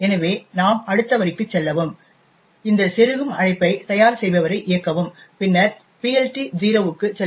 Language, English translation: Tamil, So, therefore you jump to the next line, run this insertion call prepare resolver and then make a jump to PLT 0 which calls the resolver